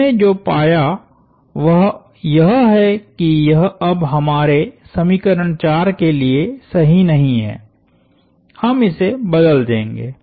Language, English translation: Hindi, What we found is that, this is no longer correct for our equation 4, we will replace it with